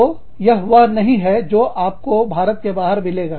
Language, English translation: Hindi, So, that is not something, you will find, outside of India